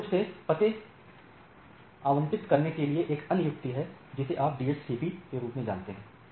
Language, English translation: Hindi, There are there are way to dynamically allocate addresses that you know that DHCP type of things